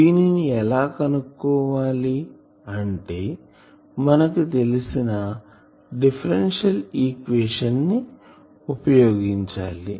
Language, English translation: Telugu, This you know from your knowledge of differential equation solution